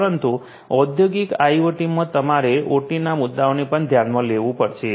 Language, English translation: Gujarati, But in industrial IoT, you have to also take into issue into consideration the OT issues